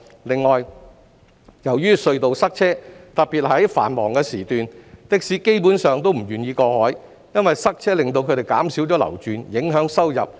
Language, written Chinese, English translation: Cantonese, 另外，由於隧道塞車，特別是在繁忙時段，的士司機基本上都不願意過海，因為塞車令他們減少流轉，影響收入。, What is more traffic congestion at the harbour crossings especially during the peak hours basically makes taxi drivers reluctant to cross the harbour as it will reduce the number of trips they can make and in turn affect their income